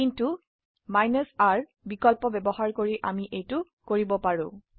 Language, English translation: Assamese, But using the R option we can do this